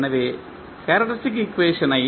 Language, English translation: Tamil, Now, what is the characteristic equation in this